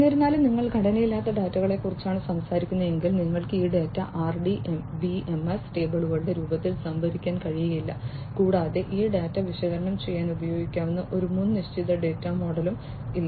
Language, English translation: Malayalam, However, if you are talking about unstructured data you cannot store this data in the form of RDBMS tables and there is no predefined data model that could be used to analyze this data